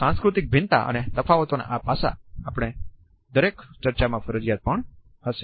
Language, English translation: Gujarati, These aspects of cultural variations and differences would be a compulsory part of each of our discussion